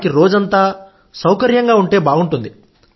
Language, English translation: Telugu, They also feel comfortable throughout the day